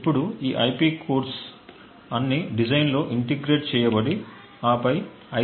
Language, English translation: Telugu, Now, all of these IP cores would be integrated into the design and then used to manufacture the IC